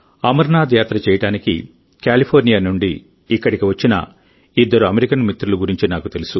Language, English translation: Telugu, I have come to know about two such American friends who had come here from California to perform the Amarnath Yatra